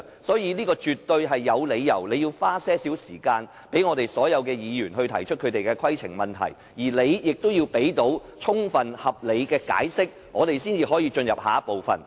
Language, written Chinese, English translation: Cantonese, 所以，主席，你絕對有理由花一點時間讓所有議員提出規程問題，而你也要提供充分合理的解釋，我們才能進入下一個項目。, Therefore President it is fully justified for you to spare some time for Members to raise points of order . You must also give us adequate and sound explanations before we can proceed to the next item